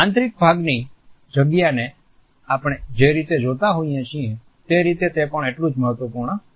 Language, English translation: Gujarati, It is also equally important in the way we look at the space design of the interior